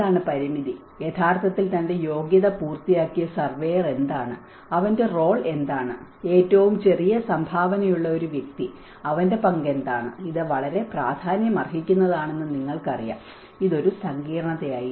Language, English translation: Malayalam, What is the limitation and what actually the surveyor who have done his qualification and what is his role and a person who has a smallest contribution what is his role, you know this matters a lot, this was a complexity